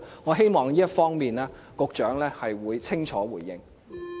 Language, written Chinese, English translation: Cantonese, 我希望局長會清楚回應有關問題。, I hope the Secretary will clearly respond to these questions